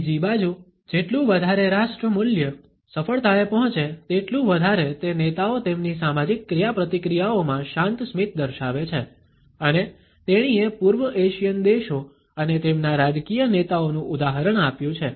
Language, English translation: Gujarati, On the other hand, the more a particular nation values come, the more those leaders show calm smiles in their social interactions and she is given the example of East Asian countries and their political leaders